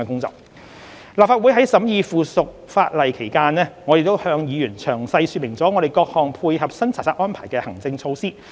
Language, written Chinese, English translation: Cantonese, 在立法會審議附屬法例期間，我們亦向議員詳細說明我們各項配合新查冊安排的行政措施。, During the scrutiny of the subsidiary legislation by the Legislative Council we explained to Members in detail the administrative measures in place to support the new inspection regime